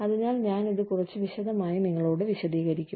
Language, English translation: Malayalam, So, I will explain this to you, in a little bit of detail